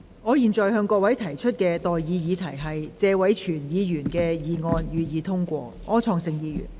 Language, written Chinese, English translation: Cantonese, 我現在向各位提出的待議議題是：謝偉銓議員動議的議案，予以通過。, I now propose the question to you and that is That the motion moved by Mr Tony TSE be passed